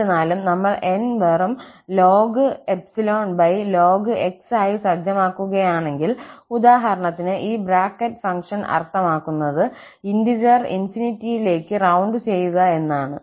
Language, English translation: Malayalam, However, if we set N to just ln divided by ln, for instance, where this bracket function means rounding the integer towards the infinity